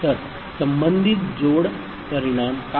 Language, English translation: Marathi, So, what will be the corresponding addition result